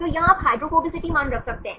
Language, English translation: Hindi, So, here you can put the hydrophobicity value